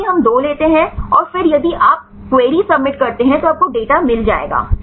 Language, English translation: Hindi, Here also we take 2 and then if you submit the query right then you will get the data